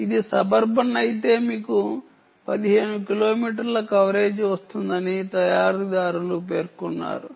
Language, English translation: Telugu, the manufacturers claim that if it is suburban you get a fifteen kilometer coverage